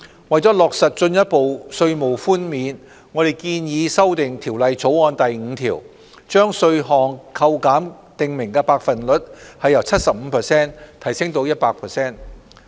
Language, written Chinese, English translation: Cantonese, 為落實進一步稅務寬免，我們建議修訂《條例草案》第5條，將稅項扣減的訂明百分率由 75% 提升至 100%。, To implement the enhanced tax reduction we propose that clause 5 of the Bill be amended so that the specified percentage for tax reduction is increased from 75 % to 100 %